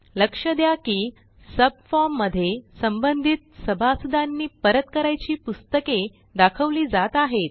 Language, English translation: Marathi, Notice that the subform below refreshes and shows books to be returned